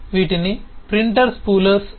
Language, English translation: Telugu, these are called printer spoolers